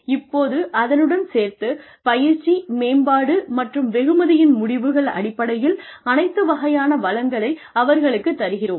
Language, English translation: Tamil, Now, let us give them, all kinds of resources, in terms of training, in terms of development, and in terms of reward outcomes